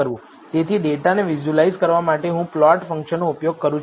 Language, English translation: Gujarati, So, to visualize the data I use the plot function